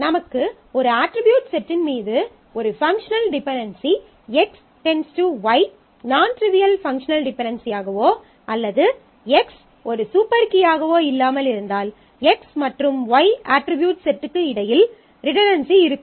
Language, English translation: Tamil, So, it is a possible that if I have a functional dependency X determining Y which is nontrivial functional dependency over the set of attributes and X is not a super key; then there exists a redundancy between X and Y attribute set